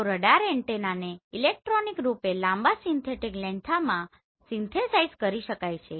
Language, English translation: Gujarati, So radar antenna can be synthesized electronically into longer synthetic length